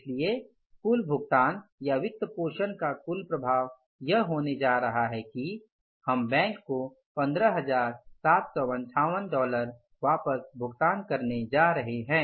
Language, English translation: Hindi, So, total amount which we are returning back to the bank as a total effect of financing we have shown or the returning the loan we have shown is the 15,758